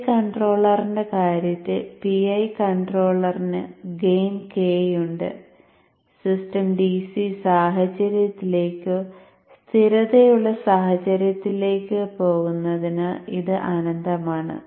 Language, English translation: Malayalam, So in the case of PI controller, the PI controller has a gain k which is infinite as the system tends towards a DC situation or a stabilized situation so let me take for example a fresh page